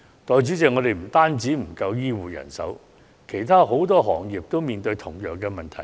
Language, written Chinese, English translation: Cantonese, 代理主席，我們不單欠缺醫護人員，其實很多行業亦正面對同樣問題。, Deputy President we face shortage not only in health care personnel; in fact the same problem is faced by different sectors